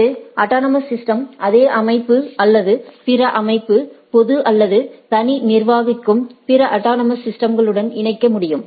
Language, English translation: Tamil, And an autonomous system can collect connect to other autonomous systems managed by the same organization or other organization public or private